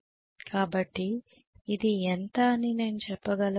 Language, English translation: Telugu, So I can say this is how much